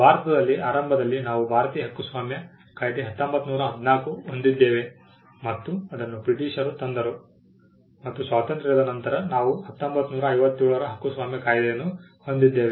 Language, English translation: Kannada, In India initially we had the Indian copyrights act in 1914 which was brought in by the Britishers and post independence we had the copyright Act of 1957